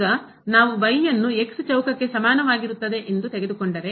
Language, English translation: Kannada, Now, if we take is equal to square